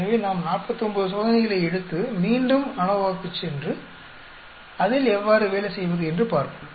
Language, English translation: Tamil, So, if we take 49 experiments, let us go back to ANOVA and see how to work at it